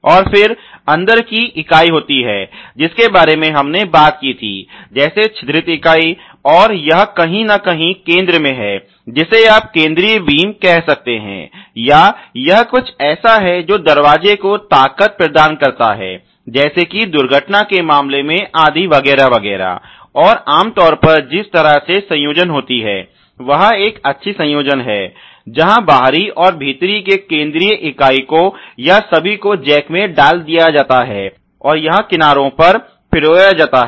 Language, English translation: Hindi, And then there is the inside member which we just talked about ok the perforated member, and this is somewhere in the center you can call it a central beam or you know it is something which is provided providing the strength to the door in some cases in case of accidents etcetera, and typically the way that the assemble happens is a welled assembly where the outer and the inner in the central members or all put in a jack and the hamming is done on the edges here